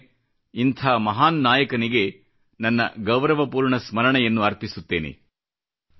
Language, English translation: Kannada, Once again I pay my homage to a great leader like him